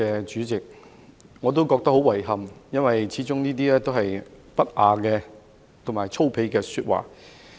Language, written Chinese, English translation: Cantonese, 主席，我也覺得十分遺憾，因為這些始終是不雅和粗鄙的說話。, President I find it a real regret too because these are indecent and vulgar remarks after all